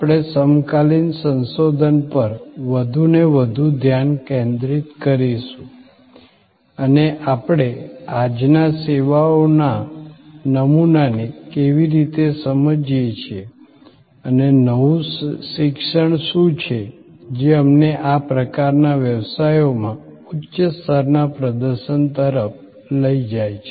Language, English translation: Gujarati, We will focus more and more on our contemporary research and how we understand today’s paradigm of services and what are the new learning's, that are leading us to higher level of performance in these kind of businesses